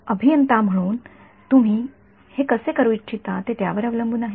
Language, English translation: Marathi, So, it is up to you as the engineer how you want to do it